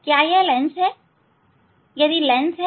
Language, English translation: Hindi, Whether it is a lens if lens